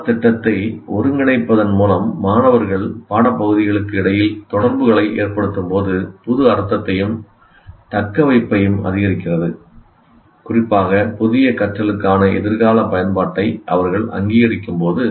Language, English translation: Tamil, So when students make connections between subject areas by integrating the curriculum, it increases the meaning and retention, especially when they recognize a future use for the new learning